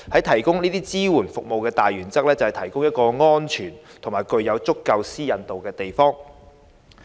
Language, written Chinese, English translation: Cantonese, 提供有關支援服務的大原則，就是提供一個安全及具足夠私隱度的地方。, The major principle for providing the related supportive services is to provide a safe place with adequate degree of privacy